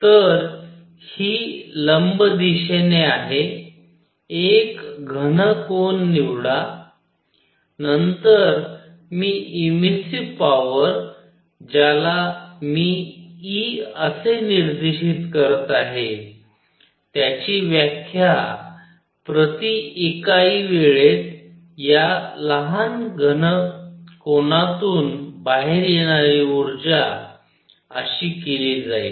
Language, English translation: Marathi, So, this is perpendicular direction, choose a solid angle delta omega, then emissive power which I will denote by e is defined as energy coming out in this small solid angle in per unit time